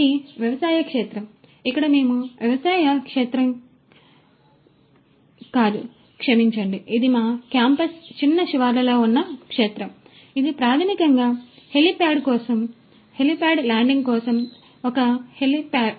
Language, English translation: Telugu, This is this agricultural field where we conduct not the agricultural field sorry this is a this is the field which is little outskirts of our campus, it is basically for helipad; it is a helipad for helicopter landing